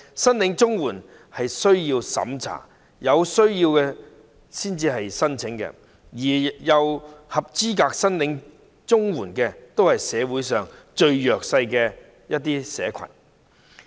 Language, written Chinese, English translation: Cantonese, 申領綜援需要接受審查，有需要者才會申請，符合資格領取綜援的人士都是社會上最弱勢的社群。, Applicants for CSSA need to undergo the means test . Only the needy will make applications . People eligible for receiving CSSA are the most disadvantaged in society